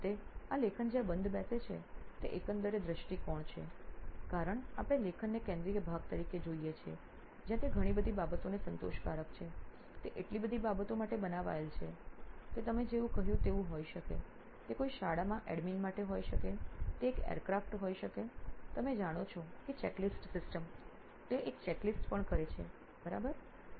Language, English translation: Gujarati, And lastly the overall view of where this writing fits in because after all we are looking at writing as a central piece where it is satisfying so many things, it is meant for so many things, it could be like you said, it could be for an admin in a school, it could be an aircraft you know checklist system also they also do a checklist, right